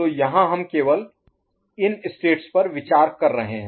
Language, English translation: Hindi, So here you are considering only the states, right